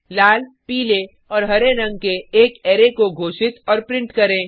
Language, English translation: Hindi, Declare and print an array of colors Red, Yellow and Green